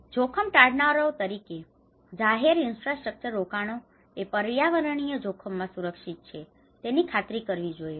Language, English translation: Gujarati, As risk avoiders, ensuring investments in public infrastructure are protected in environmental hazards